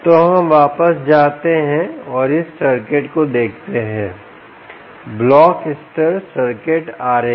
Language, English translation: Hindi, ok, so lets go back and look at this circuit, the block level circuit diagram